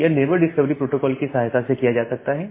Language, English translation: Hindi, So, this is done with the help of this the neighbor discovery protocol